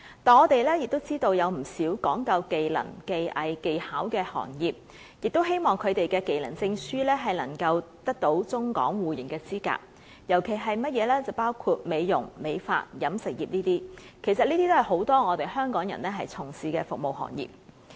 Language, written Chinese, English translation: Cantonese, 但是，我們也知道，不少講究技能、技藝、技巧的行業，亦希望他們的技能證書得到中港互認的資格，尤其是美容、美髮、飲食業等，這些正正是很多香港人從事的服務行業。, However as we all know some businesses are selling their techniques craftsmanship and skills . They are also keen to have their trade certificates mutually recognized in the Mainland . Particularly for the beauty hairdressing and catering industries which have employed a lot of people in Hong Kong they are earnestly looking forward for the mutual recognition arrangement